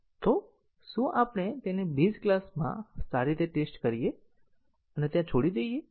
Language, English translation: Gujarati, So, do we test it well in the base class and leave it there